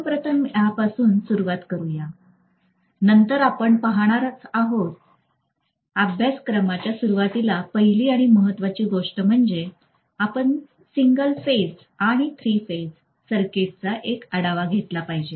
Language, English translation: Marathi, So we will be starting off with this first then we are going to look at, so if I actually start the flow of the course, the first and foremost thing we will be doing is review of single phase and three phase circuit